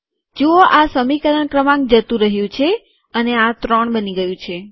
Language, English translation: Gujarati, See that this equation number is gone and this has become three